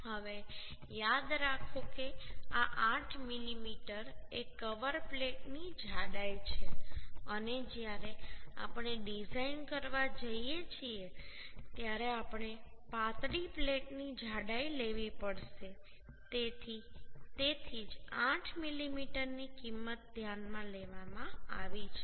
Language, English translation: Gujarati, 25 is the gamma mb value Now remember this 8 mm is the thickness of cover plate and when we are going to design we have to take the thickness of the thinner plate that is why 8 mm value has been consider So this is coming 59